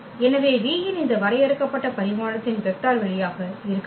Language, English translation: Tamil, So, let V be a vector space of this finite dimension n